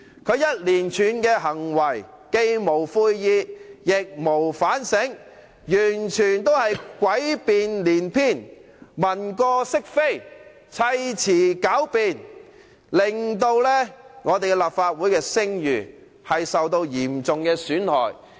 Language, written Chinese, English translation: Cantonese, 他一連串的行為，既無悔意，亦無反省，完全是詭辯連篇，文過飾非，砌詞狡辯，令立法會的聲譽受到嚴重的損害。, He has only resorted to all kinds of sophistry glossed over his mistakes and covered up his wrongdoings made up all sorts of lame excuses which will result in the reputation of the Legislative Council being adversely affected and jeopardized